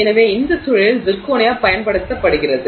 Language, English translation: Tamil, So, zirconia is used in this context